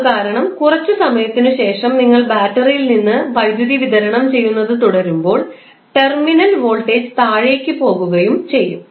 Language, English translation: Malayalam, So, because of that when you keep on supplying power from the battery after some time the terminal voltage will go down